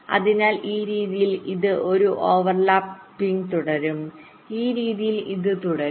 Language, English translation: Malayalam, so in this way this will go on in a overlap fashion